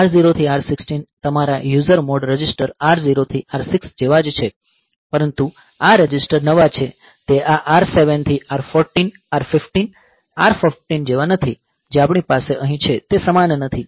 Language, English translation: Gujarati, So, this R0 to R6, this is these are the same as your user mode register R 0 through R6, but these registers are new they are not same as these R7 to R14, R15 R14 that we have here they are not same here they are new registers